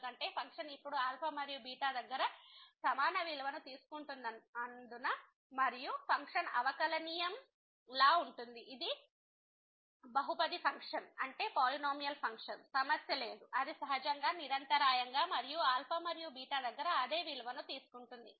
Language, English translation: Telugu, Because, of the reason because the function is taking now equal value at alpha and beta, function is differentiable, it is a polynomial function, there is no problem, the it is continuous naturally and it is taking the same value at alpha and beta